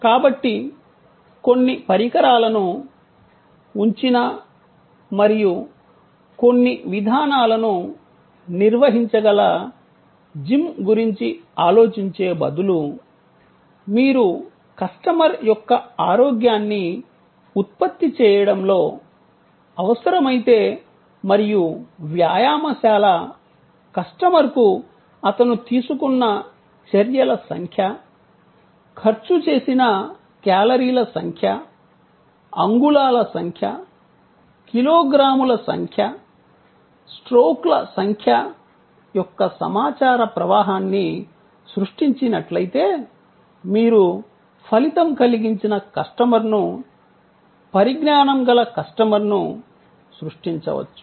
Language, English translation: Telugu, So, instead of thinking of a gym where certain equipment are kept and certain procedures can be performed, if you participate in the customer's need of generating wellness and create information flow to the gym customer about the number of steps taken, the number of calories burned, the number of inches, number of kilograms, number of strokes, you can create an involved customer, a knowledgeable customer, who in all probability will be a more satisfied customer